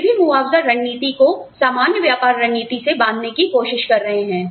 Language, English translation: Hindi, They are also trying to tie, compensation strategy to general business strategy